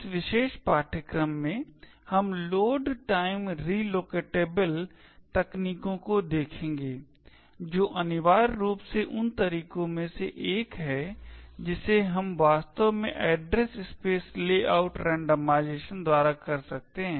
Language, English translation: Hindi, In this particular course we will look at a Load Time Relocatable techniques which is essentially one of the ways we could actually have Address Space Layout randomization